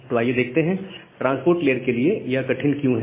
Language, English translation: Hindi, So, let us see that why it is difficult for transport layer